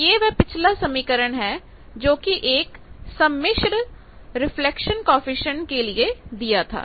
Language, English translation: Hindi, Now, this is what is the previous expression was the complex reflection coefficient